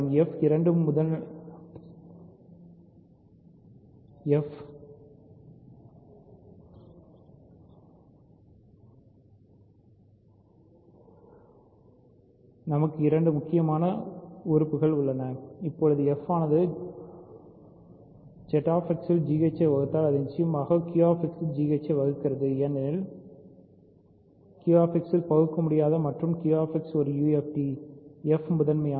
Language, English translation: Tamil, We have two important assertions f is primitive and f is irreducible in Q X So, now if f divides g h in Z X it certainly divides g h in Q X because f is irreducible in Q X and Q X is a UFD f is prime